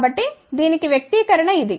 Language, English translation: Telugu, So, this is the expression for that